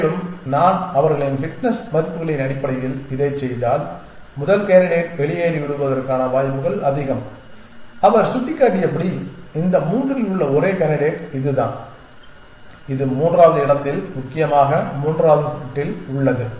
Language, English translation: Tamil, And if I do that based on their fitness values its very likely that the first candidate will get left out and as he pointed out this is the only candidate of these three which has the one in the middle place essentially on the third bit essentially